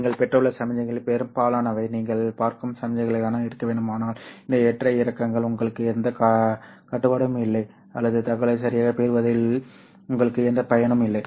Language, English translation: Tamil, You want much of the signals that you have received to actually be the signals that you are looking at and not these fluctuations which you don't have any control or you don't have any use in obtaining the information